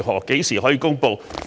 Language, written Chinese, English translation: Cantonese, 何時可以公布？, When can it be announced?